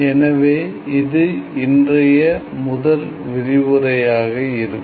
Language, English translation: Tamil, So, starting today it will be the first lecture